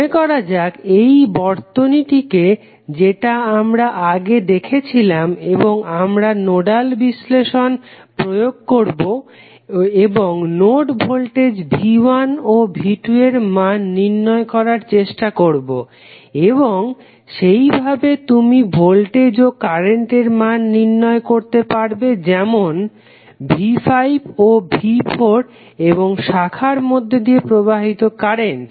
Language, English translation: Bengali, Let us assume that this is the circuit which we saw previously and we will apply the nodal analysis and try to find out the values of node voltages V 1 in V 2 and then accordingly you can find the voltages and currents for say that is V 5 and V 4 and the currents flowing in the branches